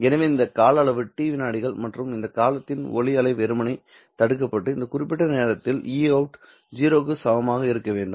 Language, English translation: Tamil, So this is the duration t seconds and for this duration the light wave is simply blocked off and e out must be equal to zero during this particular time